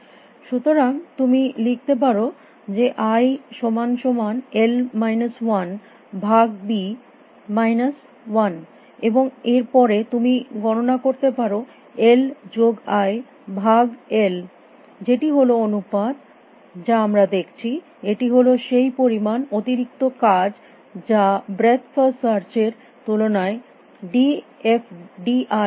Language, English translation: Bengali, So, you can write i is equal to l minus 1 divided by b minus 1 and then you can compute l plus i divided by l which is the ratio that we are looking what which is the amount of extra work d f i d is doing as compare to breadth first search